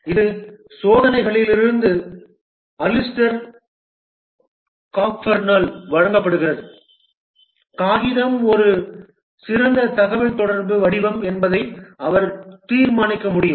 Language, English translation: Tamil, This is given by Alistair Cockburn from experiments he could determine that paper is a cold form of communication not very effective